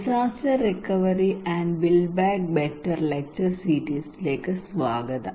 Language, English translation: Malayalam, Welcome to disaster recovery and build back better lecture series